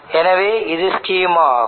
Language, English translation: Tamil, So this would be the schema